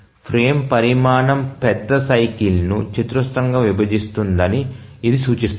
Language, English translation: Telugu, So, this indicates that the frame size squarely divides the major cycle